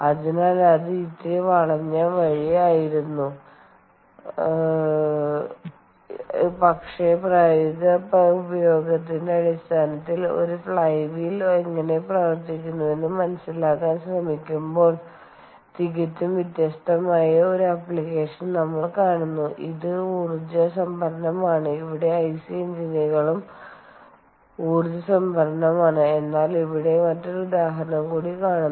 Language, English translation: Malayalam, ok, so that was a little detour, but trying to understand how a flywheel works in terms of practical application, here we are seeing a completely different application, which is energy storage, where ic engines is also energy storage